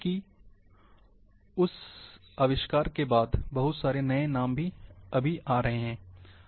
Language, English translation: Hindi, Because after that invention, lot of new names have been coming,still coming